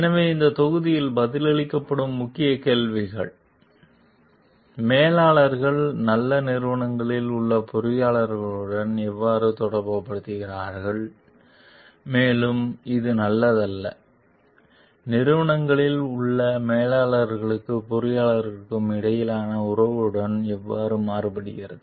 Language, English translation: Tamil, So, the key questions that will be answered in this module; so, how do managers relate to engineers in good companies and how does this contrast with the relations between managers and engineers at companies that are not as good